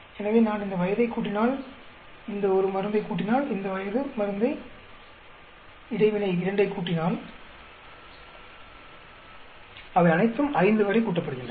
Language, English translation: Tamil, So, if I add these 2 age, if I add this one drug, and if I add this age drug interaction two, they all are add up to 5